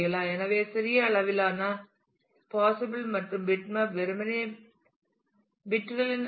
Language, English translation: Tamil, So, small range of possibilities and bitmap is simply array of bits